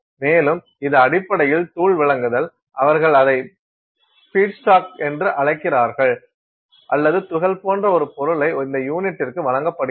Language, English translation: Tamil, And, it is basically powder supply, they call it the feedstock or things like that it is a powder that is being supplied to this unit